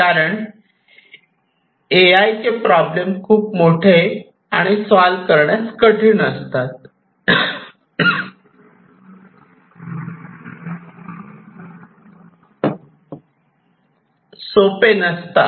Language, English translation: Marathi, Because, many of these AI based problems are not easy to solve